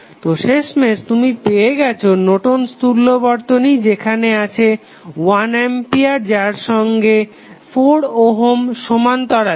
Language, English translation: Bengali, So, finally you got the Norton's equivalent where you have 1 ampere in parallel with 4 ohm resistance